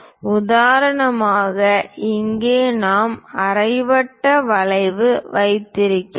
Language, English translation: Tamil, For example, here we have a semi circular arc